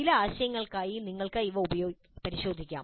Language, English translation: Malayalam, You can examine this for some of these ideas